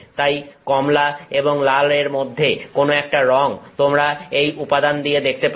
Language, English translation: Bengali, So, so somewhere between orange red, some such color you will see with this material